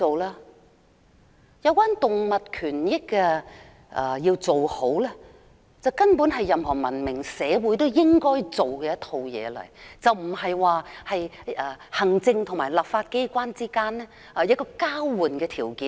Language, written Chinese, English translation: Cantonese, 維護動物權益根本是任何文明社會都應做的事，並非行政和立法機關之間的交換條件。, Protection of animal rights is something which should be done by all civilized societies . It should not be a condition of exchange between the executive authorities and the legislature